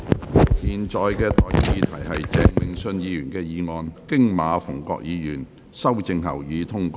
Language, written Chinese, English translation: Cantonese, 我現在向各位提出的待決議題是：鄭泳舜議員動議的議案，經馬逢國議員修正後，予以通過。, I now put the question to you and that is That the motion moved by Mr Vincent CHENG as amended by Mr MA Fung - kwok be passed